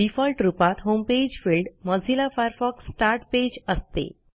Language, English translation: Marathi, By default, the Home page field is set to Mozilla Firefox Start Page